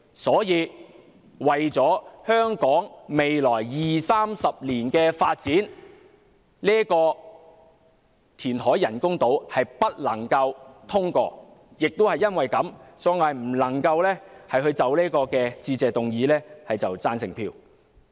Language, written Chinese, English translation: Cantonese, 因此，為了香港未來20年、30年的發展，這項人工島填海計劃不能通過，所以我不能就這項致謝議案投贊成票。, Hence for the development of Hong Kong in the next 20 to 30 years this programme of constructing artificial islands by reclamation should not be passed . For this reason I cannot vote for the Motion of Thanks